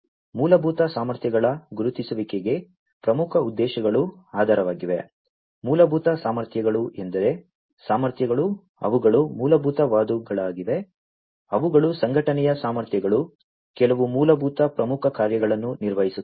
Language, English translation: Kannada, The key objectives are basis for the identification of fundamental capabilities, fundamental capabilities means the capabilities, which are fundamental in nature, which are the abilities of the organization to perform certain basic core functions